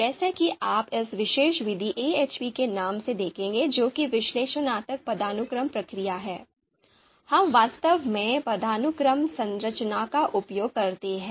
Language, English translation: Hindi, So if as you would see in the name of this particular method AHP that is Analytic Hierarchy Process, we actually use hierarchical structure there